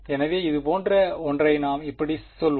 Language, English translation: Tamil, So, let say something like this ok